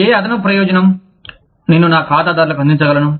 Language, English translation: Telugu, What additional benefit, can i offer to my clients